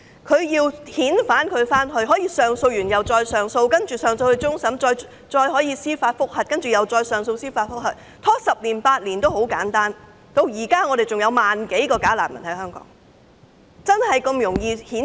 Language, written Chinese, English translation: Cantonese, 如要遣返他，他可以不斷提出上訴，甚至上訴至終審法院，他也可以申請司法覆核，然後就司法覆核案提出上訴，拖延十年八年，至今仍有萬多名假難民在香港。, He can also apply for judicial review and then appeal against the decision of the judicial review dragging on for 8 to 10 years . There are still more than 10 000 bogus refugees in Hong Kong